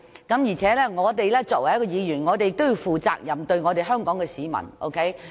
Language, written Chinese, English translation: Cantonese, 而且，作為議員，我們要對香港市民負責。, Furthermore as Members of this Council we should be responsible to the people of Hong Kong